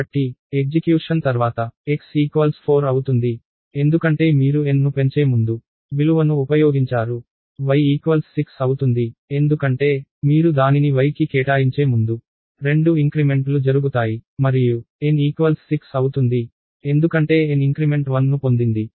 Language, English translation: Telugu, So, after the execution x would be 4, because you use the value before you incremented n, y would be 6, because, 2 increments happen before you assigned it to y and n would be 6, because n got to increments one as a post increment here and one has a pre increment here